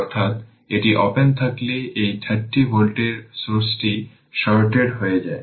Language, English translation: Bengali, That is, is this is open this 30 volt source is shorted